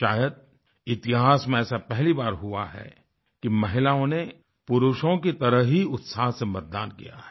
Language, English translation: Hindi, Perhaps, this is the first time ever, that women have enthusiastically voted, as much as men did